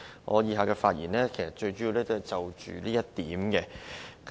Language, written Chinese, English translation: Cantonese, 我以下主要是就這一點發言。, I will focus my speech on this proposal